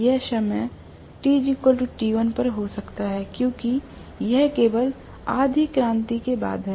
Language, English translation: Hindi, This may be at time t equal to t1 because it is after all only half revolution